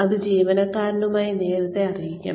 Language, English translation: Malayalam, That should be declared earlier, to the employee